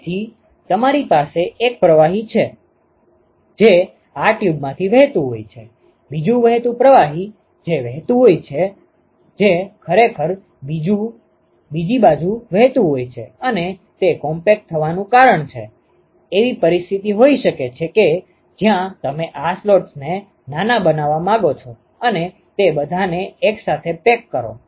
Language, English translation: Gujarati, So, you have one fluid, which is flowing through these tube, another flowing fluid which is flowing, which is actually flowing to the other side and the reason why it is compact is you can have a situation where you arrange several of these slots tiny ones and pack them all together